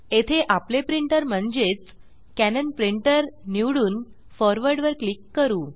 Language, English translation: Marathi, Here, lets select our printer, i.e., Cannon Printer and click on Forward